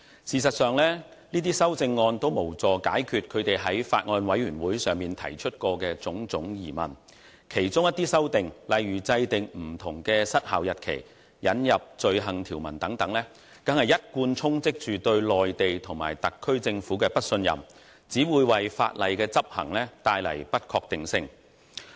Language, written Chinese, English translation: Cantonese, 事實上，這些修正案均無助解決他們在法案委員會會議上提出的種種疑問，其中一些修訂，如制訂不同的失效日期和引入罪行條文等，更一貫充斥着對內地和特區政府的不信任，只會為法例執行帶來不確定性。, In fact these amendments will not help solve the various questions raised by them at meetings of the Bills Committee . Some of the amendments such as setting various expiry dates and introducing offence provisions are fraught with distrust of the Mainland and SAR Governments as usual which will only bring uncertainty to the enforcement of law